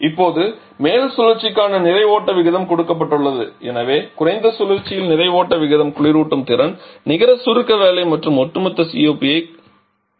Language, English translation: Tamil, Now the mass flow rate for the upper cycle is given so you have to determine the mass flow rate in a large circle, cooling capacity, net compression work and overall COP